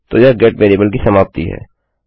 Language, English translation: Hindi, So,thats the end of the get variable